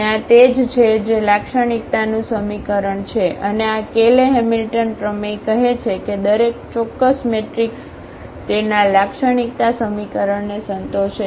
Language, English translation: Gujarati, And, that is what the characteristic equation and this Cayley Hamilton theorem says that every square matrix satisfy its characteristic equation